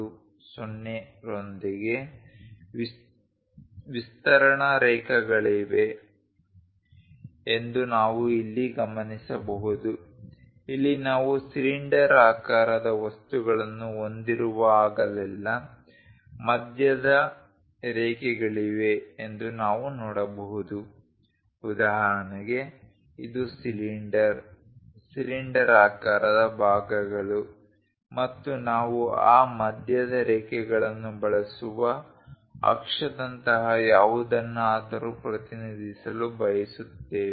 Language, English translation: Kannada, 20 as the basic dimension, here also we can see that there are center lines whenever we have cylindrical objects for example, this is the cylinder, cylindrical portions and would like to represent something like an axis we use that center lines